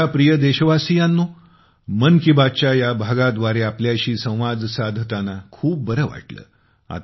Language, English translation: Marathi, My dear countrymen, it was great to connect with you in this episode of Mann ki Baat